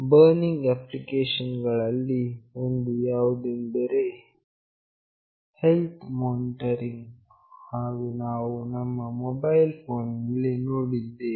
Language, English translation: Kannada, One of the burning applications is in health monitoring that we have seen in our mobile phones